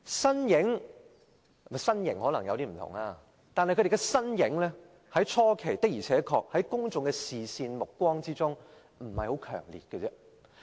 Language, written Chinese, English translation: Cantonese, 兩人的身型可能有點不同，但他們的身影在回歸初期，在公眾目光中並不強烈。, The figures of the two persons might be slightly different but neither of them made a conspicuous appearance in public in the early years following the reunification